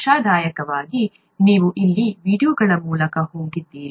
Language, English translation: Kannada, Hopefully you have gone through the videos here